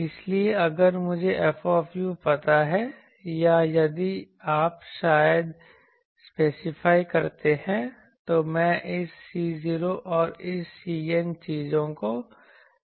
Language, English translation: Hindi, So, if I know F u or if you probably specified, I can find out this C 0 and this C n things